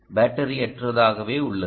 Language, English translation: Tamil, so it's really battery less